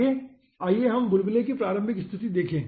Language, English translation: Hindi, next let us see the initial position of the bubbles